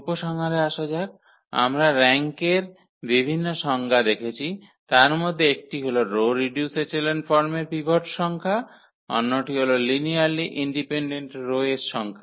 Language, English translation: Bengali, Coming to the conclusion what we have seen the various definitions of the rank, one was the number of pivots in the in the row reduced echelon form, the other one was the number of linearly independent rows